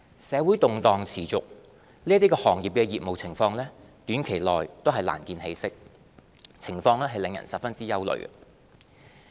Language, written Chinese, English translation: Cantonese, 社會動盪持續，這些行業的業務情況短期內難見起色，情況令人十分憂慮。, With lingering social unrest the business of these industries will hardly improve in the near future giving cause for grave concern